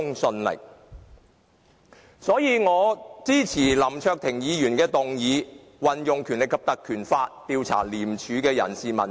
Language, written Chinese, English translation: Cantonese, 所以，我支持林卓廷議員的議案，運用《條例》調查廉署的人事問題。, For that reason I support Mr LAM Cheuk - tings motion on invoking the Legislative Council Ordinance to investigate the personnel issues of ICAC